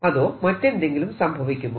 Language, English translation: Malayalam, or there is something else